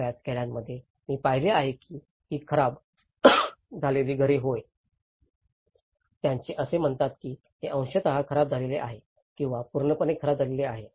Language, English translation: Marathi, In many of the villages, where I have seen I visited that these damaged houses yes, they have been accounted that this has been partially damaged or fully damaged